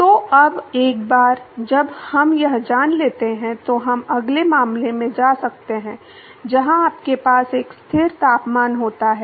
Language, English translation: Hindi, So, now, once we know this, we can go to the next case where you have a constant temperature